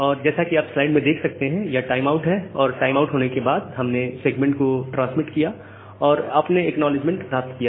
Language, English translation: Hindi, So, there is a timeout you again after the timeout we transmitted the segment and you got the acknowledgement